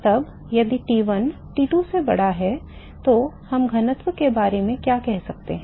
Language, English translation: Hindi, Now, if T1 is greater than T2 what can we say about the density